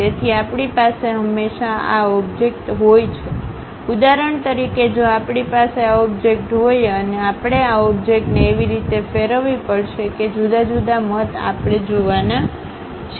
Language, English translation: Gujarati, So, we always have this object, for example, like if we have this object; we have to rotate this object in such a way that, different views we are going to see